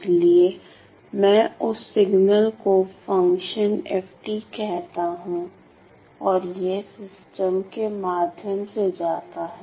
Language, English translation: Hindi, So, I call that signal to be the function f of t and it goes through the system